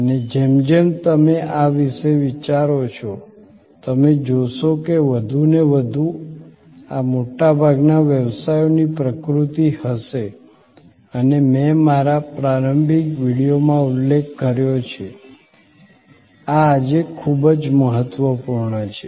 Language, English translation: Gujarati, And as you think about these, you will see that more and more, these will be the nature of most businesses and as I mentioned in my introductory video, this is very important today